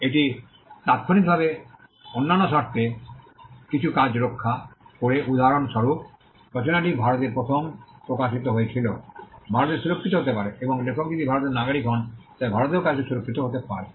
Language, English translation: Bengali, It also protects certain works in other conditions for instant example the work was first published in India, can be protected in India and if the author is a citizen of India the work can be protected in India as well